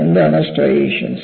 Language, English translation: Malayalam, So, what are striations